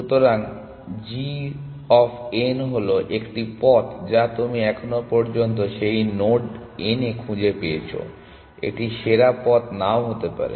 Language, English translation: Bengali, So, g of n is a path that you have found to that node n so far, it may be not the best path